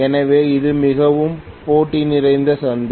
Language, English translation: Tamil, It is a very competitive market